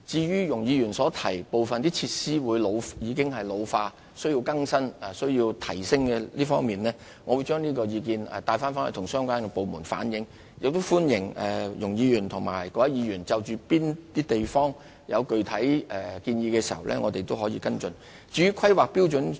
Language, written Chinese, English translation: Cantonese, 容議員提到部分設施已經老化，需要更新和提升，我會將有關意見向相關部門轉達和反映，亦歡迎容議員和各位議員就各個地區的設施提出具體建議，讓我們作出跟進。, Ms YUNG has mentioned that some facilities are ageing and require renewal and upgrading I would convey and relay her views to the departments concerned and Ms YUNG and other Members are welcome to put forward specific proposals on the facilities in various districts for our follow - up